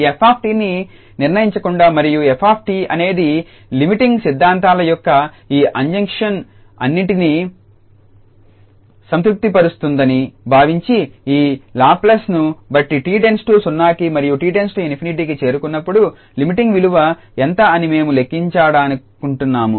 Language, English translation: Telugu, Just a problem that without determining this f t and assuming that f t satisfies all these hypothesis of the limiting theorems we want to compute that what is the limiting value as t approaches to 0 and t approaches to infinity given this Laplace transform